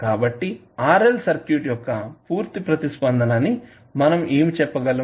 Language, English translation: Telugu, So, what we can say that the complete response of RL circuit